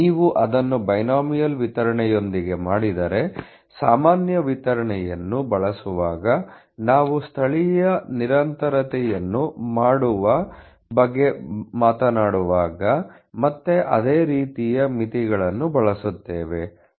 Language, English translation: Kannada, 93% if you do it with the binomial distribution while using normal distribution will again use the similar kind of limits as talk about the making a local continuity